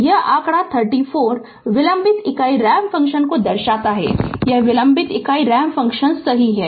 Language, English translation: Hindi, So, this is the figure 34 shows the delayed unit ramp function, this is your delayed unit ramp function right